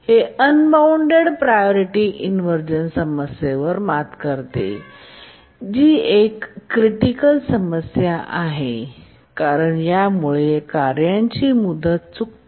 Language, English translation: Marathi, It does overcome the unbounded priority inversion problem which is a severe problem can cause tasks to miss their deadline